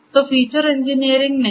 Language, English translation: Hindi, So, feature engineering is absent